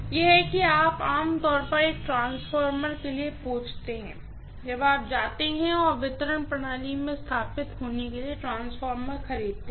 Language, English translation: Hindi, That is how you generally you know ask for a transformer, when you go and purchase a transformer for being installed in a distribution system